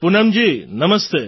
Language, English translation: Gujarati, Poonam ji Namaste